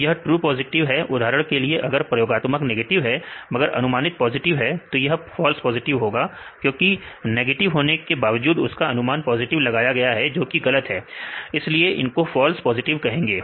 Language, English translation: Hindi, So, this is a true positive for example, if the experimental it is negative, but we predicted as positive; this false positive because it predicted as positive, but that is not correct that is wrong; so, this way is called false positive